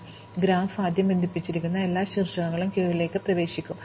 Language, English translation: Malayalam, So, therefore, the graph is connected first of all every vertex will get into the queue